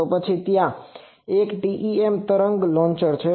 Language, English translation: Gujarati, So, then there is a TEM wave launcher